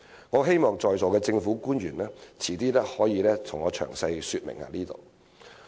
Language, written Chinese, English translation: Cantonese, 我希望在座的政府官員稍後可以就此向我詳細說明。, I hope the public officer sitting here can explain this to me in detail later